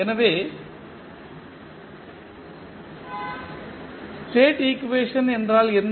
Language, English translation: Tamil, So, what is the state equation